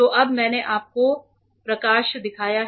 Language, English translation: Hindi, So, now, I have shown the light to you